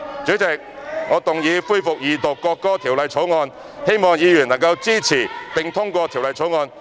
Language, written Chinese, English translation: Cantonese, 主席，我動議恢復二讀《條例草案》，希望議員能支持並通過《條例草案》。, President I move that the Second Reading of the Bill be resumed and hope Members will support its passage